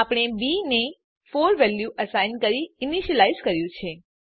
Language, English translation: Gujarati, We have initialized b, by assigning a value of 4 to it